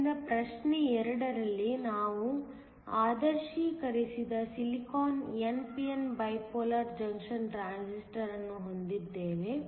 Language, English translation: Kannada, So, in problem 2, we have an idealized silicon n p n bipolar junction transistor